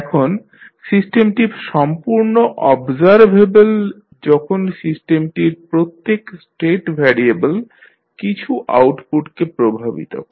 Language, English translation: Bengali, Now, the system is completely observable if every state variable of the system affects some of the outputs